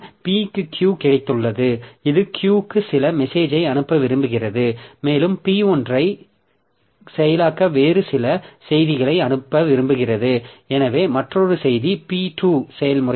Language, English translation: Tamil, So, P has got Q, it wants to send some message to Q and also it wants to send some other message to process P1, so another process to process P2